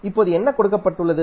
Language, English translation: Tamil, Now, what is given